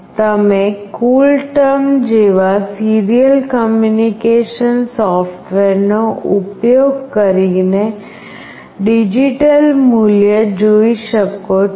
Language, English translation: Gujarati, You can see the digital value using any of the serial communication software like CoolTerm